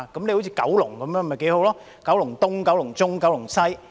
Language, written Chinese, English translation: Cantonese, 好像九龍那樣不是挺好嗎——"九龍東"、"九龍中"、"九龍西"？, Something like those of Kowloon―Kowloon East Kowloon Central and Kowloon West―is quite good is it not?